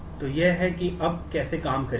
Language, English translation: Hindi, So, this is how it will now work out to be